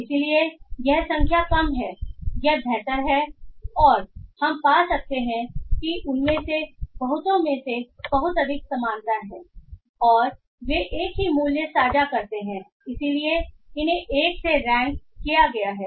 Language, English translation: Hindi, So lower the number it is better and we can find that a lot of them have very high similarity and they have they share the same value hence are ranked at 1